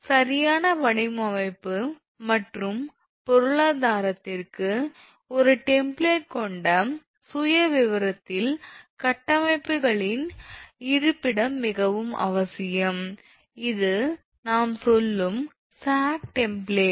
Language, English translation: Tamil, For correct design and economy the location of structures on the profile with a template is very essential that is sag template we call say